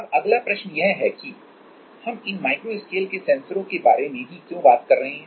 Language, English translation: Hindi, The next question, why we are talking about at all about these micro scale sensors